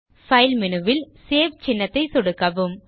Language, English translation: Tamil, And then click on the Save button